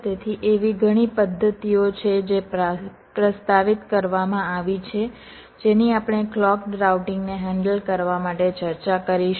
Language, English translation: Gujarati, ok, so there are many methods which have been propose, which we shall discussing, to handle clocked routing